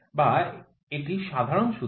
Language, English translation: Bengali, Or this is the general formula